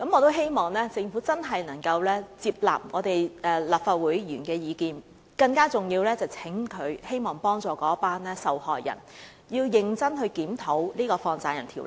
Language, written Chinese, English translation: Cantonese, 我希望政府接納立法會議員的意見，而更重要的是，我希望政府幫助受害人，認真檢討《放債人條例》。, I hope that the Government can take on board Members views . And more importantly I hope the Government can offer assistance to the victims concerned and conduct a serious review of the Money Lenders Ordinance